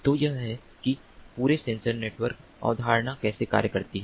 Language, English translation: Hindi, so this is how the entire sensor network concept functions